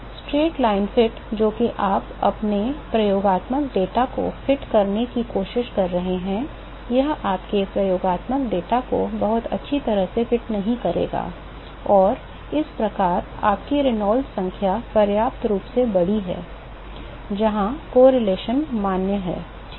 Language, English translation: Hindi, The straight line fit that you are trying to fit your experimental data, it will not fit your experimental data very well and thus your Reynolds number is sufficiently large, where the correlation is valid ok